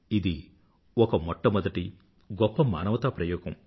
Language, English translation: Telugu, It was a novel humanitarian experiment on a large scale